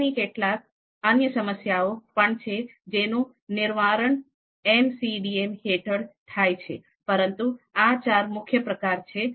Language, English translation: Gujarati, There are other types of problems decision problems as well which are solved under MCDM, but these are the four main types